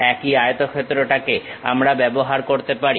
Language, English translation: Bengali, The same rectangle we can use it